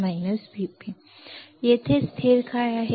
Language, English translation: Marathi, Now, what is the constant here